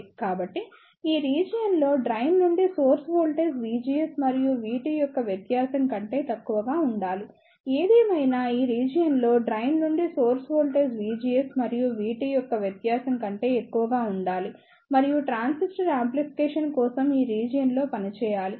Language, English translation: Telugu, So, in this region the drain to source voltage should be less than the difference of V GS and V T; however, in this region the drain to source voltage should be greater than the difference of V GS and V T and the transistor should operate in this region for amplification purpose